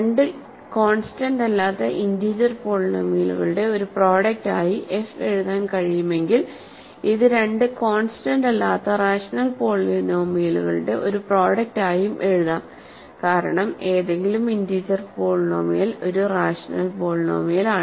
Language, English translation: Malayalam, If f can be written as a product of two non constant integer polynomials, it can also be written as a product of two non constant rational polynomials because any integer polynomial is a rational polynomial